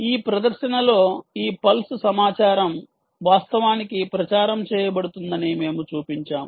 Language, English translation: Telugu, in this demonstration we have shown that this pulse information is actually being advertised